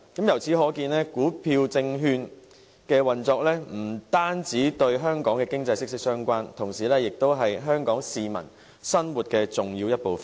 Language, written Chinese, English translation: Cantonese, 由此可見，股票證券的運作不單與香港的經濟息息相關，同時也是香港市民生活的重要一部分。, From this we can see that the operation of shares and securities is closely related to Hong Kongs economy and they are an important part of Hong Kong peoples living